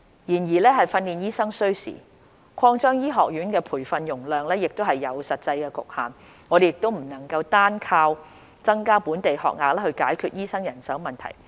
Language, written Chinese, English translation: Cantonese, 然而，訓練醫生需時，擴張醫學院培訓容量亦有實際局限，我們不能單靠增加本地學額來解決醫生人手問題。, Nevertheless given the lead time required for training local doctors and the practical constraints in enhancing the training capacity of medical schools we cannot solely rely on increasing the number of local training places to address the manpower problem